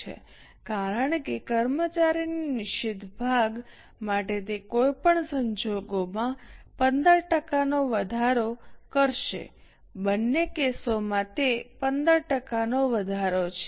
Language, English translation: Gujarati, 15 because it is going to increase by 15% in any case for fixed part of the employee cost, both the cases it is a rise of 15%